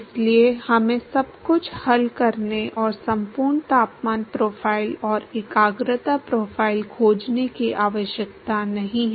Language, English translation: Hindi, So, we do not need to solve everything and find the complete temperature profile and concentration profile